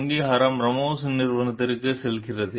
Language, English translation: Tamil, The credit goes to the Ramos s company